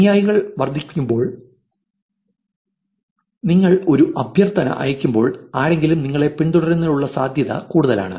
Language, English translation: Malayalam, As the followers increase, the chances of somebody following you back when you send a request is high